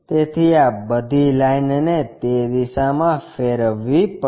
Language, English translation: Gujarati, So, all this line has to be rotated in that direction